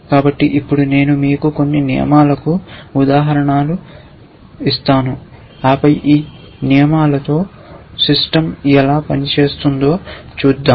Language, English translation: Telugu, So, let me now give you a examples of a few rules and then we will see how the system operates with these rules essentially